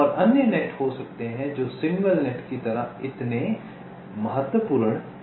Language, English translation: Hindi, and there can be other nets which are not so critical like the signal nets